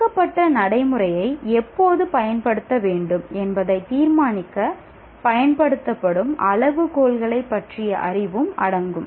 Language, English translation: Tamil, Also includes knowledge of the criteria used to determine when to use a given procedure